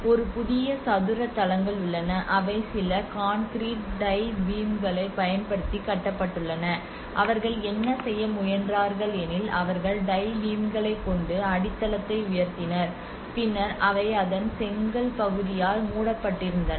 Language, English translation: Tamil, So some of the photographs I will go through it and then so there is a new square bases which has been constructed using some concrete tie beams and what they tried to do is they made the bases with the tie beams to raise the plinth, and then they covered with the brick part of it